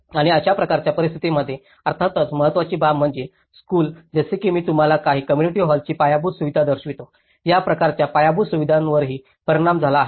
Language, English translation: Marathi, And in such kind of situations, obviously one of the important aspect is the schools like as I showed you some community hall infrastructure; even these kind of infrastructure has been affected